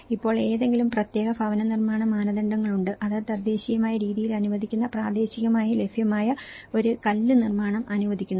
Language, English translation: Malayalam, Now, today are there any particular housing standards, which is allowing a stone construction which is locally available which is allowing an indigenous methods